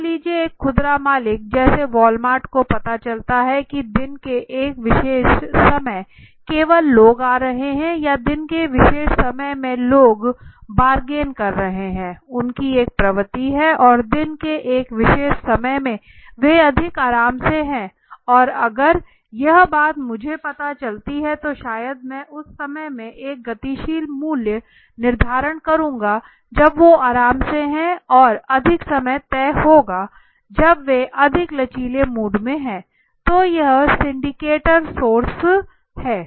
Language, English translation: Hindi, Oh yes suppose a retail owner let say Walmart comes to know that on a particular time of the day only people are coming right or in particular time of the day people are tending there is a tendency to bargain more and in a particular time of the day they are more relaxed so if I come to know this thing then maybe what I can do is I can have a dynamic pricing in the time in their more relaxed and I will have a more fixed time you know a kind of a system when they are more in a less flexible mood right so I said that also so these are the syndicators sources